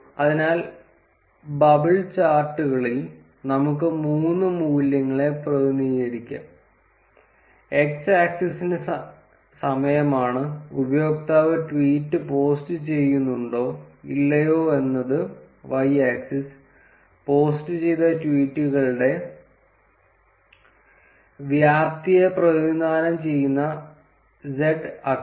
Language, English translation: Malayalam, So, in bubble charts we can represent three values; the x axis being the time; y axis being whether user is posting the tweet or not; and the z axis which represents what is the volume of the tweets that has been posted